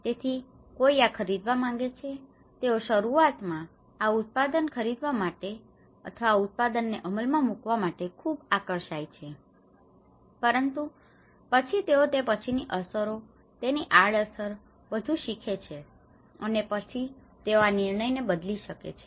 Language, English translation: Gujarati, So, someone wants to buy this, they were initially very fascinated to buy this product or to take this to implement this product but then they learn that this is the after effects of it, there is a side effects of it and that is what they might change the decisions